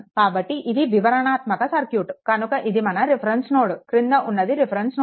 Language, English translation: Telugu, So, this is the detail circuit so, this is your ah this is your reference node, this is your reference node, right